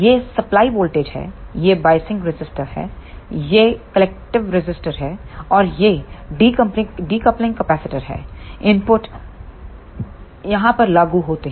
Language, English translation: Hindi, This is the supply voltage, these are the biasing resistor, this is collective resistor, and these are the decoupling capacitors the input is applied here